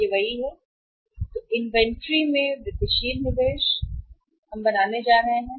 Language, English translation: Hindi, Then it is the incremental investment in inventory, incremental investment in inventory we are going to make